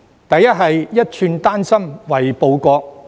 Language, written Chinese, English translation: Cantonese, 第一，是"一寸丹心為報國"。, The first one is that one should serve the country with a loyal heart